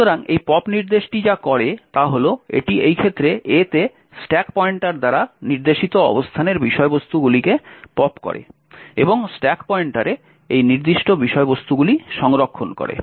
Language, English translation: Bengali, So, what this pop instruction does is that it pops the contents of the location pointed to by the stack pointer in this case A and stores these particular contents in the stack pointer